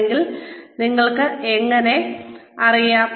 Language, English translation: Malayalam, If yes, how do you know